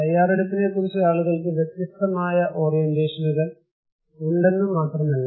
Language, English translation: Malayalam, Not only that people have a different orientations about preparedness